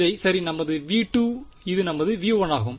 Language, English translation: Tamil, Right this was our v 2 this is our v 1